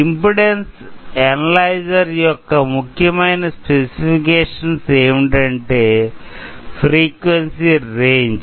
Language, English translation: Telugu, So, one of the key specification of the impedance analyzer is its frequency range